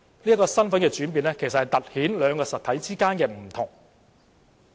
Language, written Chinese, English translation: Cantonese, 這個身份的轉變突顯兩個實體的不同。, Such change of identity highlights the difference between the two entities